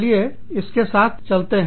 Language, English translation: Hindi, Let us get on with it